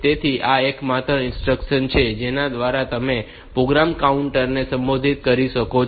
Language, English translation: Gujarati, So, this is the only instruction by which you can modify the program counter